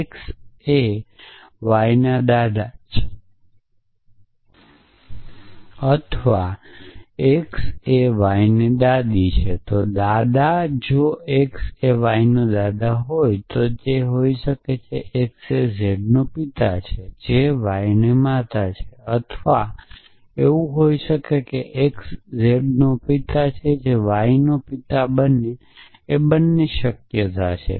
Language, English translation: Gujarati, It could be that x is the father of z who is the mother of y or it could be that x is the father of z who is the father of y both are possible